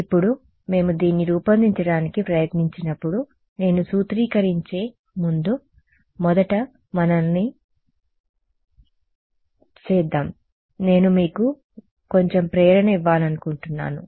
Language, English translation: Telugu, Now, we will when we try to formulate this let us first before I formulated I want to give you a little bit of motivation ok